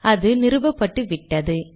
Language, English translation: Tamil, Should it install